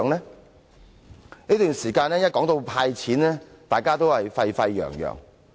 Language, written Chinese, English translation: Cantonese, 在這段期間，每當提到"派錢"，大家也沸沸揚揚。, During this period every time the handout of cash was mentioned there would be a heated discussion